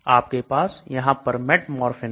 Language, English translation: Hindi, You have metformin here